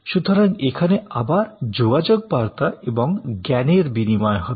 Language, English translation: Bengali, So, here again there will be some exchange of communication and knowledge